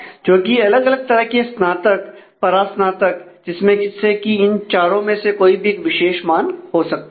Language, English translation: Hindi, So, which can take different types of undergraduate post graduate these different one of these four specific values let us say